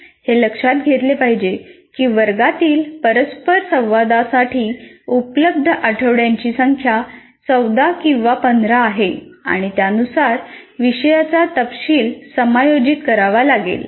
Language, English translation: Marathi, So that should be kept in mind the number of weeks available for classroom interactions to 14 or 15 and the content will have to be accordingly adjusted